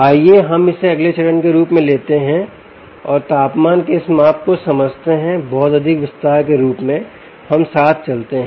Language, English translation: Hindi, lets take this up as a next step and understand this ah uh, this measurement of temperature, in a lot more detail as we go along